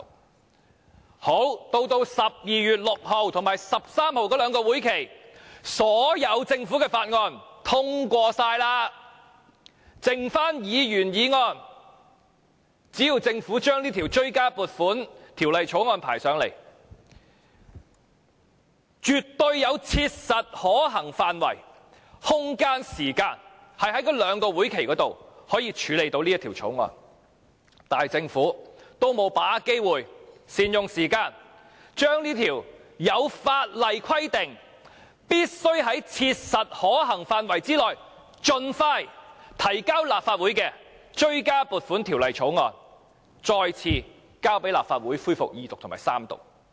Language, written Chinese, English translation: Cantonese, 然後到了12月6日及13日這兩個會期，所有政府的附屬法例也通過了，只餘下議員議案，只要政府將這項追加撥款條例草案交上來，絕對有切實可行範圍、空間、時間，在這兩個會期內處理這項條例草案，但政府沒有把握機會，善用時間將這項在法例上規定必須在切實可行範圍內盡快提交的追加撥款條例草案，交來立法會進行二讀及三讀。, Then at the two meetings on the 6 and 13 of December all the subsidiary legislation of the Government had been passed and there remained Members motions only . Had the Government tabled the Bill before this Council it would have been absolutely practicable and there would have been room and time for the Bill to be examined at these two meetings . But the Government did not seize the opportunity to introduce in a timely manner the Bill into the Legislative Council for it to be read the Second and Third times as soon as practicable as it is required to do in law